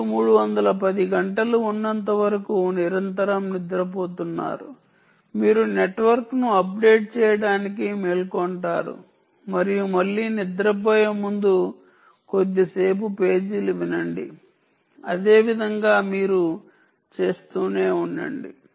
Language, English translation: Telugu, as long as three hundred and ten hours, you wake up to update the network and sleep again, listen to pages for a brief period before sleeping again